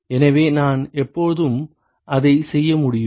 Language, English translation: Tamil, So, I can always do that